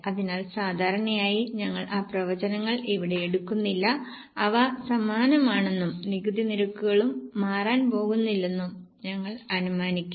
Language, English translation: Malayalam, So, normally we do not take those projections here, we will assume that they are same and tax rates are also not going to change